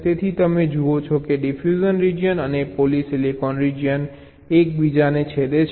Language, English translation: Gujarati, so ah, diffusion region and a polysilicon region is intersecting, now you see